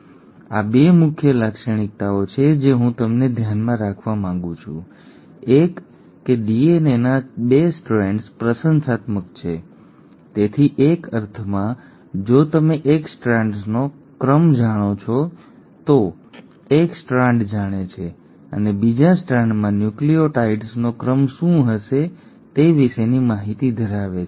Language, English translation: Gujarati, So this is, these are 2 major features I want you to keep in mind, one that the 2 strands of DNA are complimentary, so in a sense if you know the sequence of one strand, that one strand knows and has information as to what all would be the sequence of nucleotides in the second strand